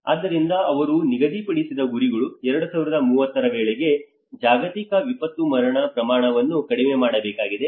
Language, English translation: Kannada, So the targets which they have set up is about they need to reduce the global disaster mortality by 2030